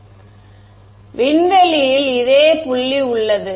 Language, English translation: Tamil, So, this is the same point in space